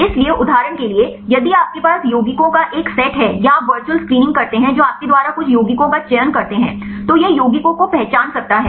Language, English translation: Hindi, So, for example, if you have a set of compounds or you do the virtual screening that select some compounds from you pole up compounds, it can identify the actives